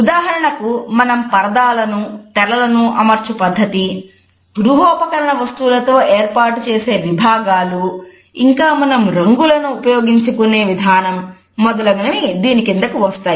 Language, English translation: Telugu, For example, the way we arrange curtains, screens, the partitions which we create with the help of furniture etcetera and at the same time the way we use colors